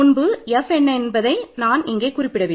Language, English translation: Tamil, So, I did not specify what F was earlier